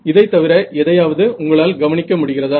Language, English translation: Tamil, Anything else that you can notice from here